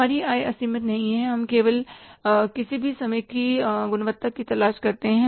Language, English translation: Hindi, Our income is not unlimited that we are only looking for the quality irrespective of any price